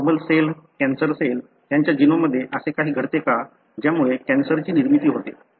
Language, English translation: Marathi, A normal cell, a cancerous cell; is their anything that happens in the genome that results in the cancer formation